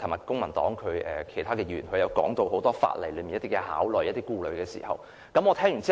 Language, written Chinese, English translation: Cantonese, 公民黨其他議員昨天亦提到很多法例上的考慮和顧慮，我聽完後也是認同的。, Other Members of the Civic Party also mentioned a number of considerations and concerns in law yesterday . I also agreed to them after listening to them